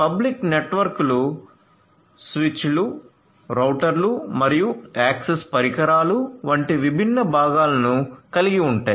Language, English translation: Telugu, So, public networks will consist of different components such as the switches, routers and access devices